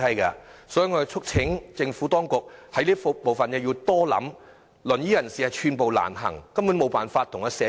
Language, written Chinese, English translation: Cantonese, 我們促請政府當局考慮，使用輪椅人士寸步難行，根本無法融入社區。, We urge the Administration to take into account that inaccessibility of wheelchair users has rendered their integration into the community completely impossible